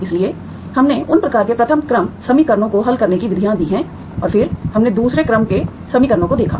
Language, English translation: Hindi, So we have given methods to solve those kinds, those types of first order equations and then we looked at the second order equations